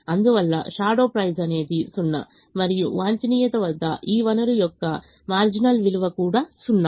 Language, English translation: Telugu, therefore, the shadow price is zero and the marginal value of this resource at the optimum is also zero